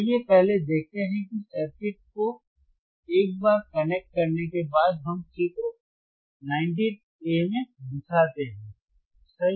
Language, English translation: Hindi, Let us first see what the circuit is the circuit once we connect as shown in figure 19 a right